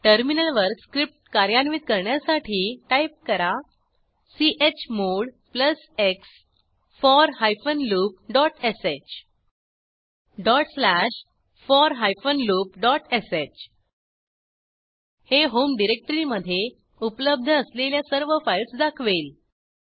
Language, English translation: Marathi, Let us execute the script on the terminal by typing chmod +x for loop.sh ./for loop.sh This will display all the files present in the Home directory